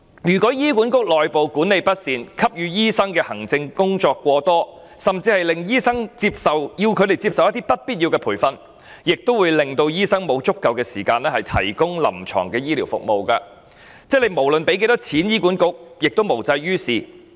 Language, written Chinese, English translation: Cantonese, 如果醫管局內部管理不善，要醫生做過多行政工作，甚至要醫生接受不必要的培訓，亦會令醫生缺乏足夠時間提供臨床醫療服務，不論向醫管局撥款多少也無濟於事。, If HAs internal management is ineffective and if doctors are required to do too much administrative work or even receive unnecessary training doctors will not have sufficient time to provide clinical medical services . The situation will not improve regardless of the funding amount for HA